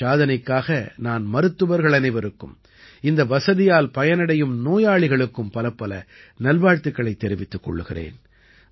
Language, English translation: Tamil, For this achievement, I congratulate all the doctors and patients who have availed of this facility